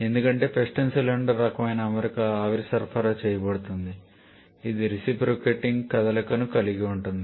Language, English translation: Telugu, Because the steam is supplied to a piston cylinder kind of arrangement which has a reciprocating motion there